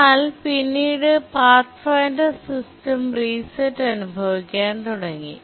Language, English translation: Malayalam, But then the Pathfinder began experiencing system resets